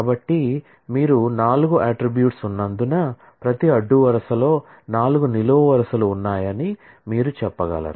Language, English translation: Telugu, So, you can say that since there are 4 attributes, that is every row has 4 columns